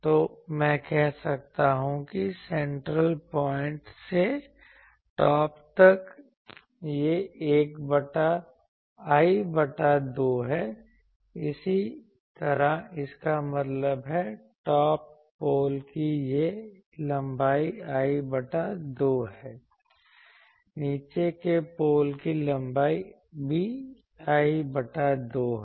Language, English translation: Hindi, So, I can say that from the central point to the top this is l by 2, similarly so that means, this length of the top pole that is l by 2, the length of the bottom pole that is also l by 2